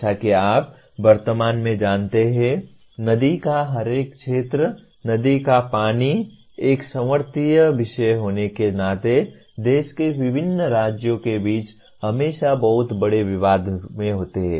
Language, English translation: Hindi, As you know at present, every river basin, being a, river water being a concurrent topic, there are always very major disputes between different states of the country